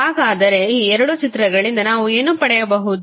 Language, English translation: Kannada, So, what we can get from these two figures